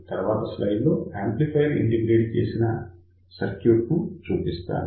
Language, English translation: Telugu, So, in the next slide I am going to show you where we have integrated an amplifier